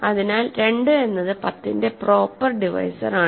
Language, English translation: Malayalam, So, 2 is a proper divisor of 10